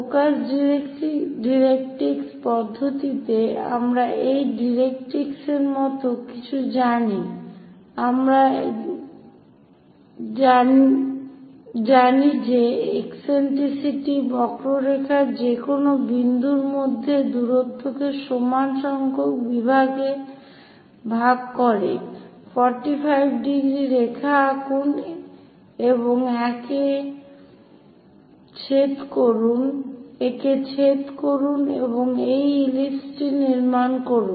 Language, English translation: Bengali, In focus directrix method we know something like a directrix, eccentricity we know, equally divide distance between these any point on the curve by equal number of divisions, draw 45 degrees line and intersect it and construct this ellipse